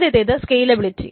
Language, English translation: Malayalam, So the first one is scalability